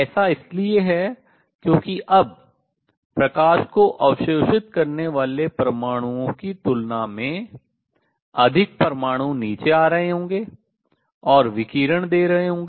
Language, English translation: Hindi, That is because now more atoms will be coming down and giving out radiation than those which are absorbing light